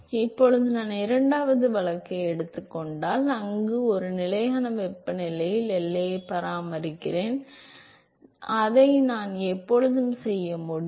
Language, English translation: Tamil, Now supposing if I take a second case, where I maintain the boundary at a constant temperature I can always do that right